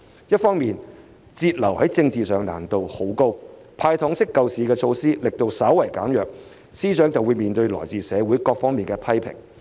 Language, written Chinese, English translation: Cantonese, 一方面，節流在政治層面上難度很高，"派糖式"救市措施的力度稍為減弱，司長便要面對來自社會各界的批評。, On the one hand it would be highly challenging to reduce expenditure out of political considerations . If the relief measure of handing out sweeteners is scaled down slightly FS will come under criticism from various sectors of the community